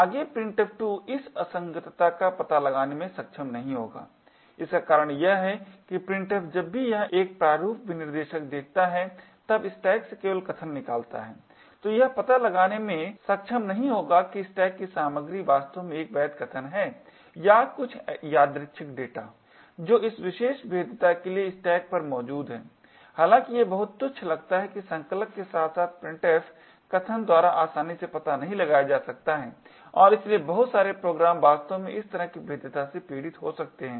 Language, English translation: Hindi, Further printf 2 will not be able to detect this inconsistency, the reason being is that printf just picks out arguments from the stack whenever it sees a format specifiers, it would not be able to detect whether the contents of the stack is indeed a valid argument or some arbitrary data which is present on the stack there for this particular vulnerability although it seems very trivial cannot be easily detected by compilers as well as the printf statements and therefore a lot of programs may actually suffer from this kind of vulnerability